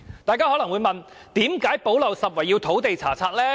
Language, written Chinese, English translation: Cantonese, 大家可能會問，為何"補漏拾遺"方案要包括土地查冊？, One may ask why the gap - plugging proposal would involve land searches